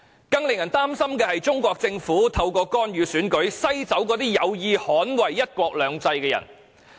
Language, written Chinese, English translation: Cantonese, 更令人擔心的是，中國政府透過干預選舉，篩走一些有意捍衞"一國兩制"的人。, What is even more worrying is that through intervention the Chinese Government has screened away some people who strive to uphold the principle of one country two systems